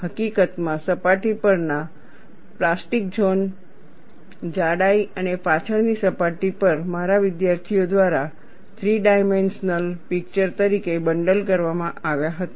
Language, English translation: Gujarati, In fact, the plastic zone on the surface, over the thickness and the rear surface were bundled as a three dimensional picture by my students and they have nicely provided this animation